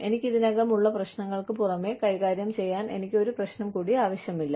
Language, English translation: Malayalam, I do not need one more problem, in addition to the ones, that i already have, to deal with